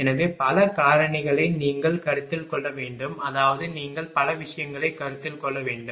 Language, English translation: Tamil, So, many factors you have to ah consider ah I mean you have to consider many things